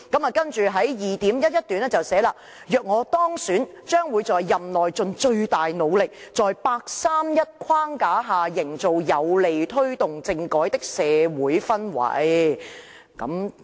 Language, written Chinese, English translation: Cantonese, "然後在第 2.11 段說"若我當選，將會在任內盡最大努力，在'八三一'框架下營造有利推動政改的社會氛圍。, It was further said in paragraph 2.11 that If elected I will do my best to work towards creating a favourable atmosphere to take forward political reform within the framework of the 831 Decision